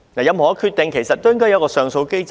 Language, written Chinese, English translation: Cantonese, 任何決定都應該設有上訴機制。, There should always be an appeal mechanism to review government decisions